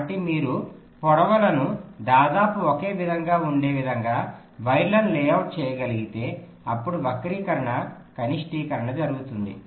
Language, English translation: Telugu, so if you can layout the wires in such a way that the lengths are all approximately the same, then skew minimization will take place